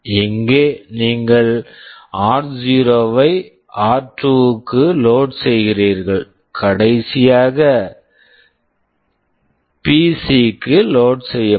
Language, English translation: Tamil, Here you are loading r0 to r2, and the last one will be loaded to PC